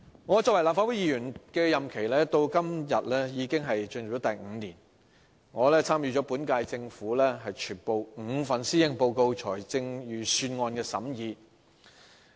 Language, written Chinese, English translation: Cantonese, 我作為立法會議員的任期現已進入第五年，我參與了本屆政府全部5份施政報告和5份財政預算案的審議。, This is evident in many areas . I am now in my fifth year as a Legislative Council Member; over the past five years I have taken part in scrutinizing all the five policy addresses and five budgets of the current Government